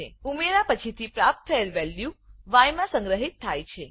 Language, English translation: Gujarati, The value obtained after the addition is stored in y